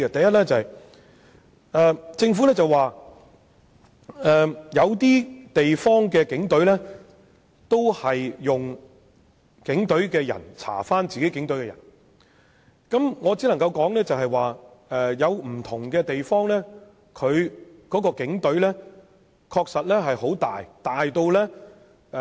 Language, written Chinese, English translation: Cantonese, 首先，政府表示有些地方的警隊亦是由警隊人員調查涉及警隊的投訴個案，我只能說有些地方的警隊規模確實龐大。, First of all the Government argues that some overseas police forces have also adopted the practice of investigating complaints against police officers by their peers in the forces and in this connection I can only say that some overseas places do have a very large police force